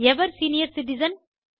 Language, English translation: Tamil, Who is a senior citizen